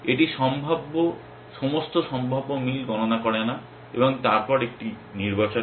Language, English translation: Bengali, It does not compute all possible matches and then selects one